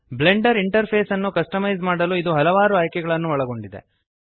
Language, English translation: Kannada, This contains several options for customizing the Blender interface